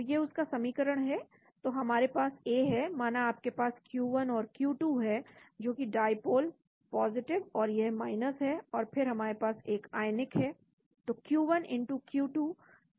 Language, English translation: Hindi, So we have a, suppose you have, q1 and q1 which is the dipole + and this is and then we have a ionic